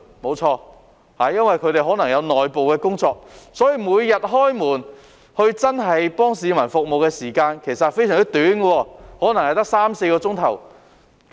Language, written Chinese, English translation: Cantonese, 沒錯，因為他們可能有內部工作，所以每日開門服務市民的時間其實非常短，可能只有三四小時。, Correct . As it may have to do in - house work its daily operating hours are actually very short probably just three to four hours